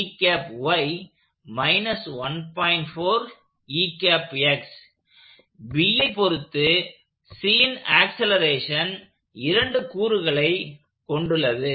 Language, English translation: Tamil, The acceleration of C as observed by B has two parts to it